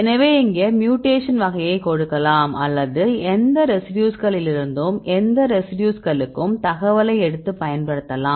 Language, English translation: Tamil, So, here we can give the mutation type either you can use from any residues to any residues you can take the information